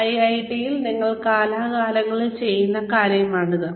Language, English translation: Malayalam, This is something that, we here at IIT do, from time to time